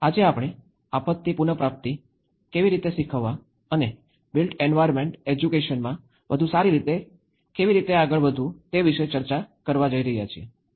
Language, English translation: Gujarati, Today, we are going to discuss about how to teach disaster recovery and build back better in built environment education